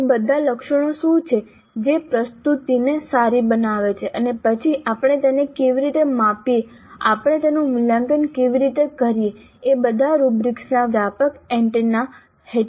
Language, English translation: Gujarati, Now what are all those attributes which make the presentation good and then how do we measure those, how do we evaluate those things, they all come and the broad and a half rubrics